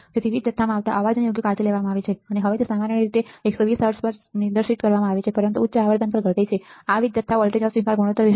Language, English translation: Gujarati, So, that the noise coming to a power supply is taken care of right and now it is generally usually it is usually specified at 120 hertz, but it drops at the higher frequency this is about the power supply voltage rejection ratio